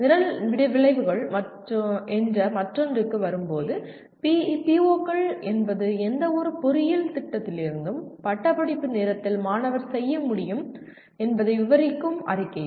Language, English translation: Tamil, Coming to the other one namely Program Outcomes, POs are statements that describe what the student should be able to do at the time of graduation from actually any engineering program